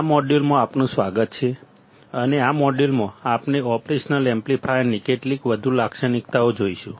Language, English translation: Gujarati, Welcome to this module and in this module, we will see some more characteristics of an operational amplifier